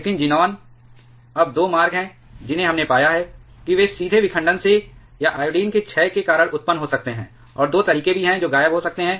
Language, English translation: Hindi, But xenon now there are two routes we have found, that can get produced directly from fission or because of the decay of iodine, and also there are two ways it may disappear